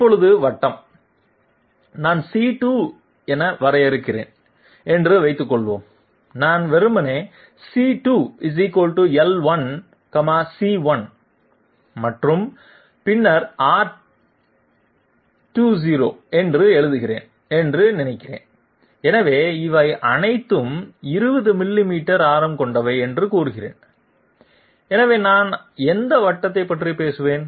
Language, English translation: Tamil, Now the circle suppose I define as C2 equal to and suppose I write simply say L1 C1 and then R20, so all these say they are of 20 millimeters radius, so which circle would I be talking about